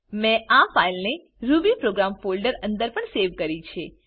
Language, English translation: Gujarati, This program will be saved in rubyprogram folder as mentioned earlier